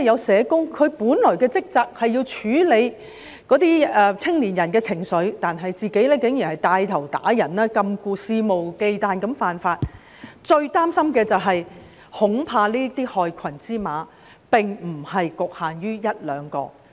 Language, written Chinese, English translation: Cantonese, 社工本來的職責是要處理青年人的情緒，但我們現時看到他竟然牽頭打人、禁錮，肆無忌憚地犯法，最令人擔心的是，這些害群之馬恐怕並不局限於一兩人。, Social workers are originally tasked to deal with the emotions of young people yet now we see that he had taken the lead to beat up and detain a person blatantly violating the law . It is most worrying that these black sheep are not limited to one to two persons